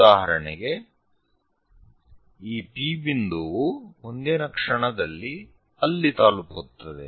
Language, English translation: Kannada, For example, this P point, next instant of time reaches to somewhere there